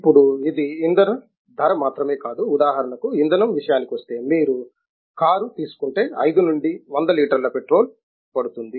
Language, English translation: Telugu, Now, if it is not only fuel price, but fuel for example, if you will take a car it takes 5 to 100 liters of petrol